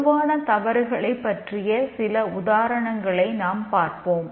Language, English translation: Tamil, These are some of the common errors